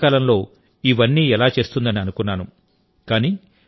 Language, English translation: Telugu, How will Gujarat do all this work at the same time